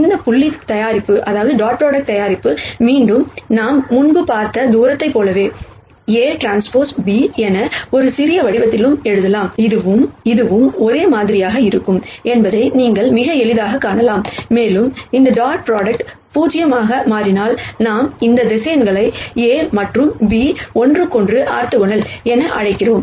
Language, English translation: Tamil, This dot product again much like the distance that we saw before, can also be written in a compact form as a transpose B you can quite easily see that this and this will be the same, and if this dot product turns out to be 0 then we call this vectors A and B as being orthogonal to each other